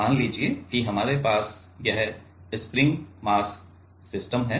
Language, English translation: Hindi, Let us say we have this springmass system